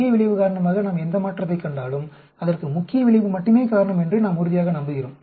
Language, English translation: Tamil, Whatever change we see because of main effect we are sure that is because of the main effect only